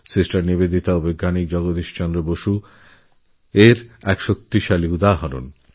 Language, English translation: Bengali, Sister Nivedita and Scientist Jagdish Chandra Basu are a powerful testimony to this